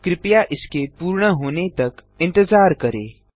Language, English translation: Hindi, Please wait until it is completed